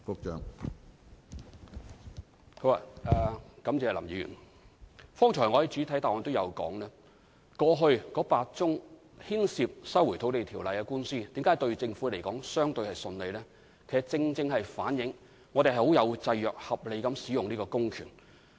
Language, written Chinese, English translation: Cantonese, 正如我剛才在主體答覆中表示，過去8宗牽涉《收回土地條例》的司法覆核官司，申請人的覆核要求均未被法庭接納，正正反映政府按照法律的制約，合理行使這項公權。, As I said in the main reply just now regarding the eight judicial review cases concerning LRO leave to judicial review was invariably refused by the Court and this truly reflects that the Government has reasonably exercised this public power subject to the constraints imposed by the law